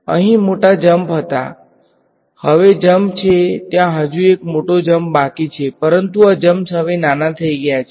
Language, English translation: Gujarati, Here there were big jumps over here now the jumps are there is still one big jump over here, but these jumps are now smaller